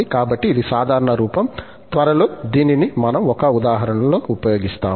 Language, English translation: Telugu, So, this is the general form, which we will use in one of the examples soon